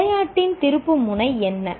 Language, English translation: Tamil, What was the turning point in the game